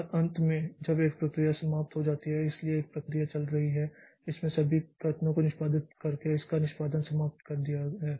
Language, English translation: Hindi, And finally when a process terminates so a process was running and it has finished its execution by executing all the statements so it terminates so it ends or terminates